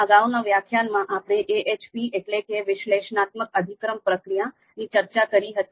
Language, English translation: Gujarati, So in previous few lectures, we talked about the AHP method that is Analytic Hierarchy Process